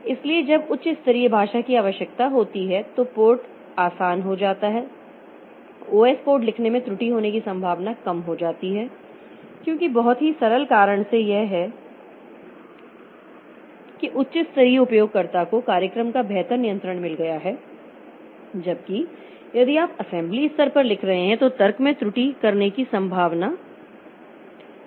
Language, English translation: Hindi, The possibility of making error in writing the OS code becomes less because of the very simple reason that this at a high level the user has got better control of the program whereas if you are writing at the assembly level then possibility of making error in the logic is high